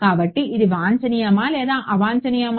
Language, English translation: Telugu, So, it is that desirable or undesirable